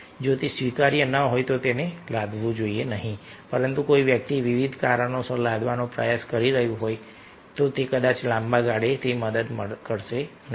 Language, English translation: Gujarati, if it is not acceptable but somebody is trying to impose due to various regions, then perhaps in long term it is not going to help